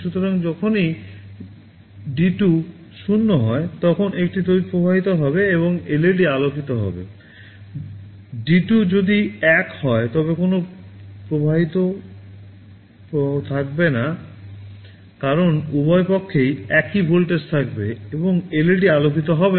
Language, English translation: Bengali, So, whenever D2 is 0, there will be a current flowing and the LED will glow, if D2 is 1, there will be no current flowing because both sides will be at same voltage, and LED will not glow